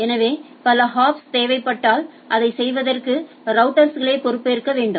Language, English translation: Tamil, So, if there are multiple hops are required the router should be responsible for doing that right